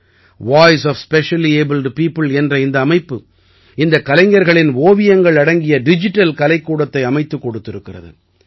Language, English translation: Tamil, Voice of Specially Abled People has prepared a digital art gallery of paintings of these artists